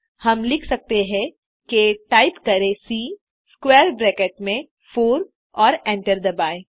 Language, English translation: Hindi, So type A within square bracket2 and hit enter